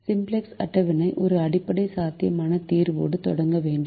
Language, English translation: Tamil, the simplex table should start with a basic, feasible solution